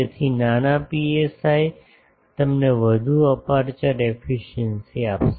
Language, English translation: Gujarati, So, smaller psi will give you more aperture efficiency